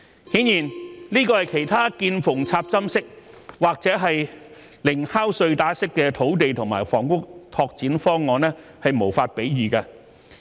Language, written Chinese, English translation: Cantonese, 顯然，這是其他"見縫插針"式或"零敲碎打"式土地和房屋拓展方案無法比擬的。, Obviously this cannot be matched by other infill or piecemeal land and housing development plans